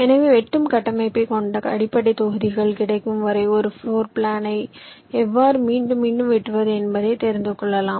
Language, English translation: Tamil, so slicing structure actually tells you how to slice a floor plan repeatedly until you get the basic blocks